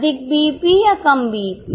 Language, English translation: Hindi, More BEP or less BEP